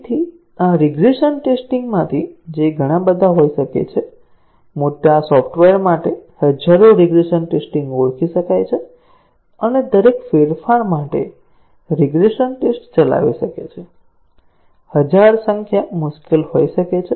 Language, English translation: Gujarati, So, out of these regression tests, which may be too many, may be thousands of regression tests for large software can be identified and may be running regression test for each change, thousand numbers may be difficult